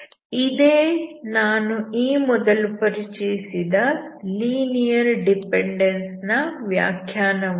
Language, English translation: Kannada, That is exactly the definition of linear dependence which I introduced earlier